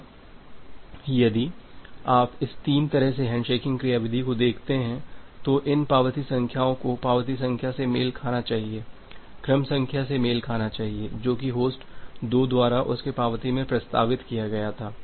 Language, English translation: Hindi, Now, if you look into this three way handshaking mechanism these acknowledgement numbers should corresponds to the acknowledgement number should corresponds to the sequence number that was proposed by host 2 in it is acknowledgement